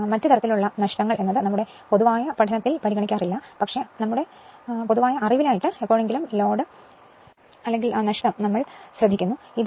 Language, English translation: Malayalam, Now, other type of loss is which we will not consider in our study, but for our your general knowledge right sometime load or stray loss, we call